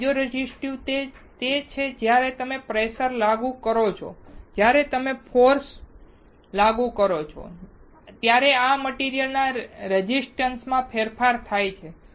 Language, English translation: Gujarati, Piezo resistive is when you apply pressure, when you apply force there is a change in the resistance of the material